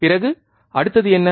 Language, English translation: Tamil, Then, what is the next